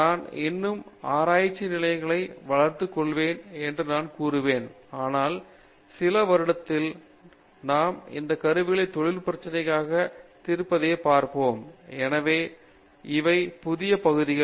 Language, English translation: Tamil, I will say these are still emerging research areas, but my vision is that in a few years we will actually see these tools solving industry problems, so these are the newer areas